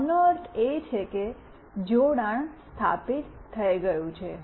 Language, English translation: Gujarati, This means that the connection has been established